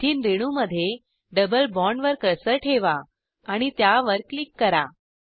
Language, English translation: Marathi, Place the cursor on the double bond in the Ethene molecule and click on it